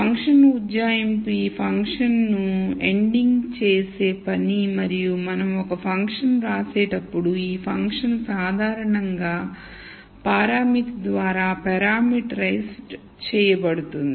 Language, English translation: Telugu, So function approximation is the task of nding these functions and whenever we write a function this function is typically parameterized by parameter